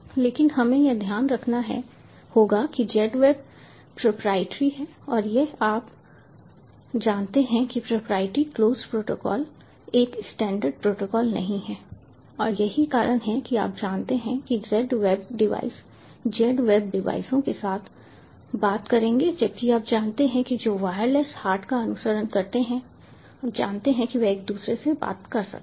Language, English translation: Hindi, but we have to keep in mind that z wave is proprietary and this is a, you know, proprietary, closed protocol, not a standard protocol, and that is why, you know, z wave devices will talk with z wave devices, whereas you know those which follow the wireless hart